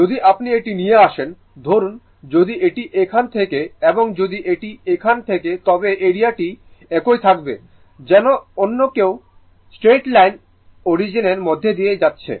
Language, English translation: Bengali, If I bring this one, suppose if it is if it is if it is here and if it is here, the area will remain same as if another straight line is passing through the origin right